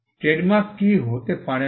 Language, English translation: Bengali, What cannot be trademark